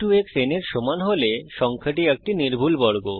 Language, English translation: Bengali, If x into x is equal to n, the number is a perfect square